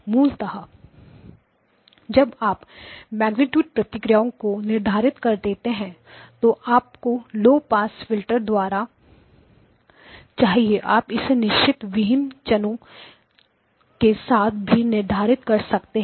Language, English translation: Hindi, Basically when you specify the response magnitude response that you need for the low pass filter you can specify it with a certain deviation or basically you can specify the magnitude response